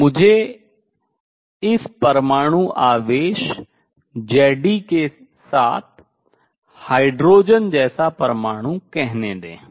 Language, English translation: Hindi, So, let me call this hydrogen like atom with nuclear charge z e